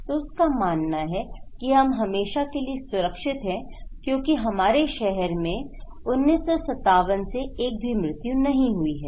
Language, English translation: Hindi, So, he believes that we are safe forever because that our town has not had a murder since 1957